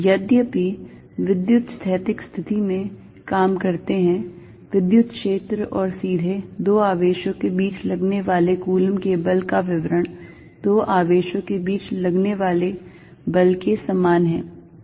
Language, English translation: Hindi, Although, when dealing with electrostatic situation, description by electric field and the Coulomb's force were directly between two charges is the same as far as the forces on charges are concerned